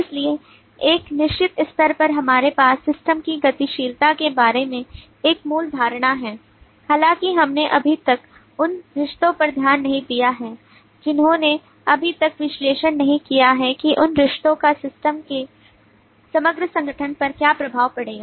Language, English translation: Hindi, so at a certain level we have a basic notion about the system dynamics though we have not yet looked at relationship we have not yet analyzed how those relationships will impact the overall organization of the system